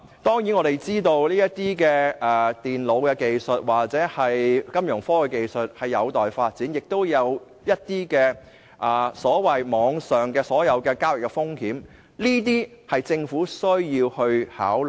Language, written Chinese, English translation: Cantonese, 當然，我們知道電腦或金融科技技術有待發展，亦有一些所謂網上交易風險，這些是政府需要考慮的。, Certainly we are aware that computer or Fintech has yet become pervasive . Moreover there are also the so - called transaction risks . All this has to be considered by the Government